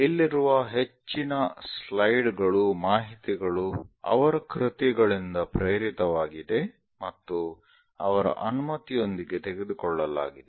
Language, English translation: Kannada, So, most of the slides, information is inspired by his works and taken with his permission